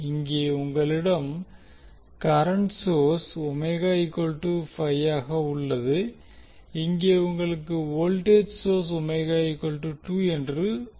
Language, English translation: Tamil, Here you have current source Omega is 5, here you have voltage source where Omega is 2